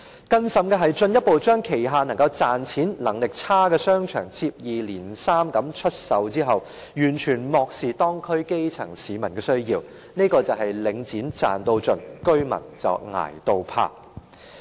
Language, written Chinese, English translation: Cantonese, 更甚的是，領展進一步將旗下賺錢能力較差的商場接二連三地出售，完全漠視當區基層市民的需要，這便是領展"賺到盡"，居民"捱到怕"。, Worse still Link REIT further sold its less profitable shopping arcades one after another in total neglect of the needs of the grass roots in the local districts . This is how Link REIT has maximized its profit while the residents have suffered in fear